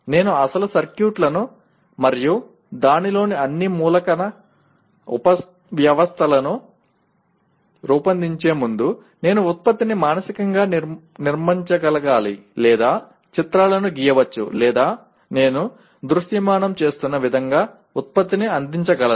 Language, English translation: Telugu, Before I design the actual circuits and all the element subsystems of that, I must be able to structure the product mentally or draw pictures or render the product the way I am visualizing